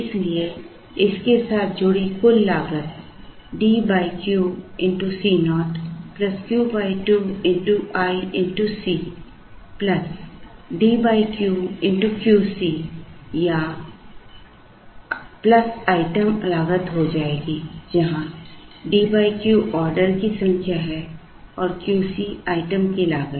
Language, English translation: Hindi, So, the total cost associated with this will be D by Q into C naught plus Q by 2 into i into c plus D by Q, which is the number of times into Q C or plus item cost